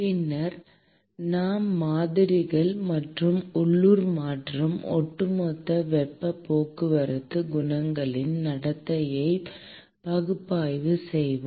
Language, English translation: Tamil, We will then analyze the models and the behavior of the local and the overall heat transport coefficients